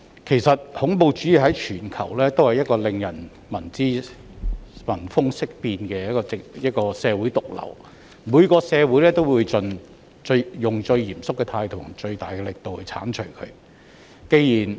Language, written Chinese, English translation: Cantonese, 事實上，恐怖主義在全球都是令人聞風色變的社會毒瘤，每個社會都會以最嚴肅的態度和最大的力度將它剷除。, In fact terrorism is a social cancer in anywhere of the world that causes people to turn pale upon hearing it . Every society will seek to eradicate it with the most serious attitude and the greatest efforts